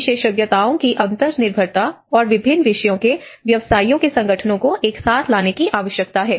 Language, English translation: Hindi, So, this interdependency of expertise and the need to bring together teams of practitioners from different disciplines